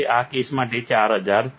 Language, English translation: Gujarati, This case, 4000